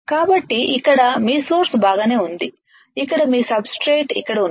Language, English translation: Telugu, So, here is your source alright here are your substrates here are your substrates alright